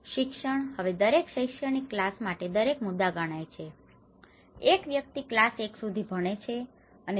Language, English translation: Gujarati, Education; now each point is counted for each academic class and a person educated up to a class 1 receives 0